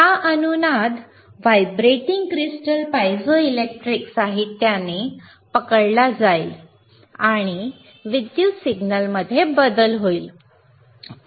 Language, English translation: Marathi, Tthis resonance will be caught by the vibrating crystal piezoelectric material, this material is piezoelectric and there will be change in the electrical signal